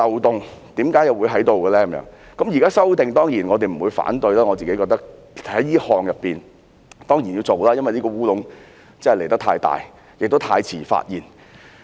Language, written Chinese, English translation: Cantonese, 當然，現時作出修訂，我們不會反對，我認為這一項修訂當然要執行，因為這個"烏龍"實在太大，也太遲被發現。, Certainly we will not oppose the current amendment . I think the provision certainly has to be amended because the blunder is really too big and too late to be identified